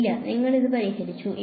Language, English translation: Malayalam, No you have solved this ok